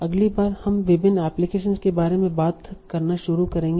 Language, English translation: Hindi, From the next week we will start talking about different applications